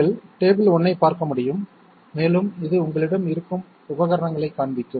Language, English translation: Tamil, It is you can refer to table 1 and it will show you the equipments which is available with you